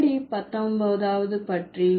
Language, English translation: Tamil, So how about the 19th